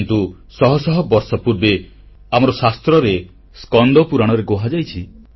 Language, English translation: Odia, But centuries ago, it has been mentioned in our ancient texts, in the Skand Puran